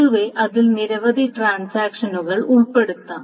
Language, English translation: Malayalam, In general, it can include many number of transactions